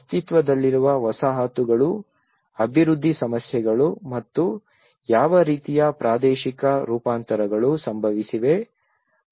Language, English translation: Kannada, Existing settlements, development issues and what kind of spatial transformation have happened